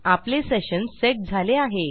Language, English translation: Marathi, We have our session set